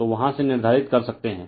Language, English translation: Hindi, So, from there you can determine right